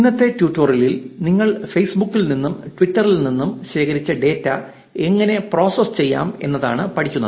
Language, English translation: Malayalam, In today's tutorial, what we will learn is how to process the data that you have collected from Facebook and Twitter